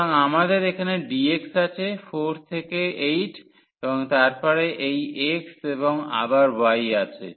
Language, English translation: Bengali, So, we have dx here we have 4 to 8 and then this x and again y there